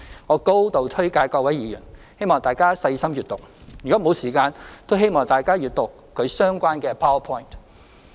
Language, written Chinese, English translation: Cantonese, 我高度推介給各位議員，希望大家細心閱讀；若沒有時間，都請大家閱讀其相關的 PowerPoint。, I highly recommend it to Members and I hope that Members will read it carefully . Members who do not have time may take a look at the related PowerPoint